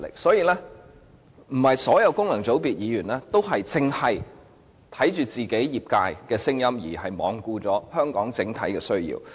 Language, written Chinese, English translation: Cantonese, 所以，並非所有功能界別議員都只聽取其業界的聲音，罔顧香港的整體需要。, Hence not every Member returned by a functional constituency will only listen to the views of his sector and disregard the overall needs of Hong Kong . Back to the Bill